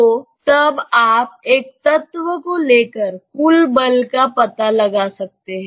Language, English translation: Hindi, So, then you can find out the total force by taking an element